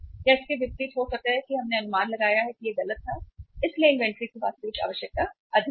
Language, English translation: Hindi, Or it can be vice versa that we have estimated it wrongly so actual requirement of the inventory was high